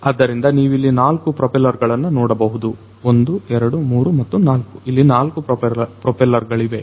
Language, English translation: Kannada, So, as you can see over here there are 4 propellers; 1 2 3 and 4 there are 4 propellers